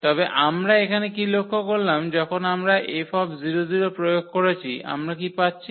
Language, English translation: Bengali, But what we observed here then when we apply this F on 0 0, what we are getting